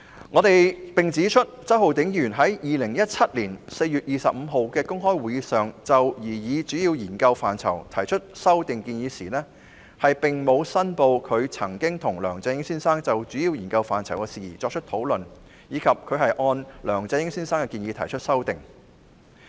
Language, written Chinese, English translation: Cantonese, 我們亦指出，周浩鼎議員在2017年4月25日的公開會議上就擬議主要研究範疇提出修訂建議時，並沒有申報他曾和梁振英先生就主要研究範疇的事宜作出討論，以及他是按梁先生的建議提出修訂。, We have also noted that at the open meeting of 25 April 2017 Mr Holden CHOW did not declare that he had discussed with Mr LEUNG Chun - ying on the major areas of study while proposing amendments thereto and that his amendments had been proposed by Mr LEUNG